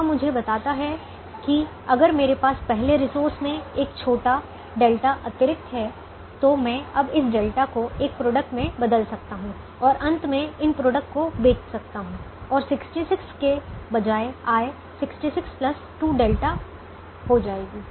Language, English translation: Hindi, it tells me that if i have a small delta extra in the first resource, i can now convert this delta into a product and finally sell these product and the revenue instead of sixty six will become sixty six plus two delta